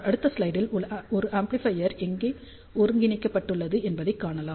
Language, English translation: Tamil, So, in the next slide I am going to show you where we have integrated an amplifier